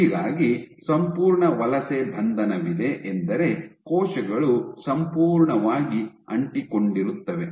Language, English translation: Kannada, So, there is complete migration arrest mean that cells are completely stuck